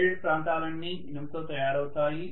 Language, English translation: Telugu, All the shaded regions are made up of iron, right